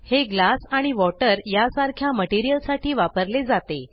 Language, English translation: Marathi, This is used for materials like glass and water